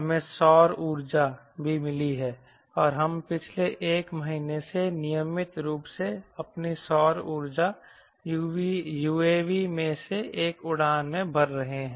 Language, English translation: Hindi, we have also got the solar power and we have been flying regularly one of our solar power, u a vs last one month